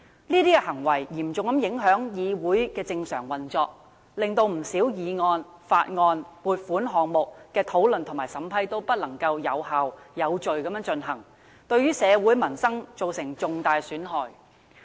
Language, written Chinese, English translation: Cantonese, 這些行為嚴重影響議會的正常運作，令不少議案、法案、撥款項目的討論和審批均不能有效、有序地進行，對社會民生造成重大損害。, Such deeds have seriously affected the normal operation of the Council as the discussion and scrutiny of many motions bills and funding proposals cannot be conducted in an effective and orderly manner thus affecting peoples livelihood significantly